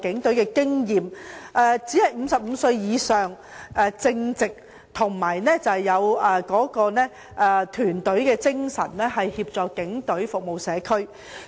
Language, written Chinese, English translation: Cantonese, 他們只要年過55歲、為人正直又有團隊精神，便可以協助警隊服務社區。, If they are aged above 55 have an upright character and team spirit they can assist the Police Force in serving the community